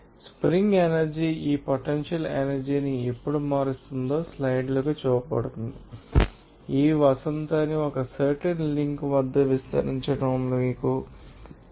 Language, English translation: Telugu, The spring energy is shown the slides that how this potential energy is changed whenever, you know that expand this spring at a certain link takes there